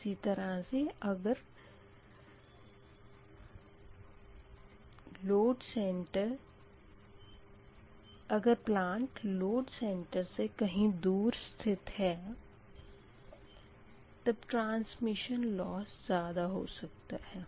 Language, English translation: Hindi, similarly, if the plant is located far from the load center, transmission loss may be higher